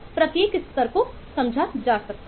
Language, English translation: Hindi, every level can be understood on its one